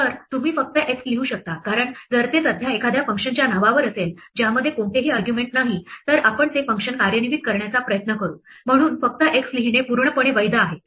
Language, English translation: Marathi, So, you can just write x because if it is currently in name of a function which takes no arguments we will try to execute that function, so it is perfectly valid to just write x